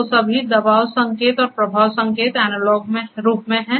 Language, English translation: Hindi, So, all the pressure sensor pressure signals and the flow signals are in analog form